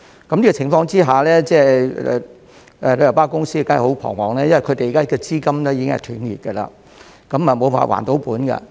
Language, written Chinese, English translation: Cantonese, 在此情況下，旅遊巴公司當然十分彷徨，因為現時資金已經斷裂，無法還本。, Under such circumstances the tour coach companies are certainly very much at a loss about what to do because the current capital chain rupture has rendered them incapable of repaying the principal